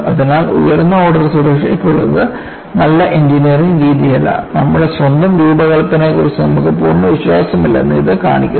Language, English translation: Malayalam, So, having a higher order safety does not add togood engineering practice; it only shows you are not completely confident about your own design